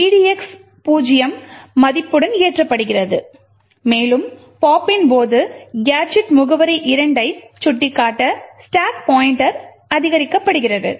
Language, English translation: Tamil, Thus, edx is loaded with a value of 0 and also during the pop a stack pointer is incremented to point to gadget address 2